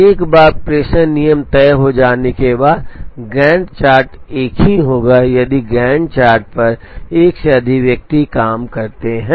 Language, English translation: Hindi, Once the dispatching rule is decided, the Gantt chart will be the same if more than one person works on the Gantt chart